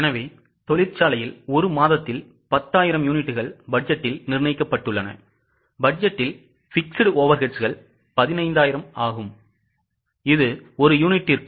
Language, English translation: Tamil, So, it is mentioned that in the factory 10,000 units are budgeted in a month with budgeted fixed overheads being 15,000 which comes to 1